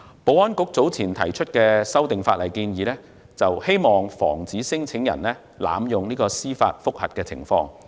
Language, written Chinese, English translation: Cantonese, 保安局早前提出的法例修訂建議，有意防止聲請人濫用司法覆核。, The legislative amendments proposed earlier by the Security Bureau intended to prevent abuse of judicial review by claimants